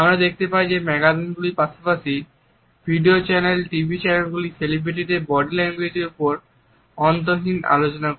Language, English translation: Bengali, We find that magazines as well as video channels TV channels carry endless stories on the body language of celebrities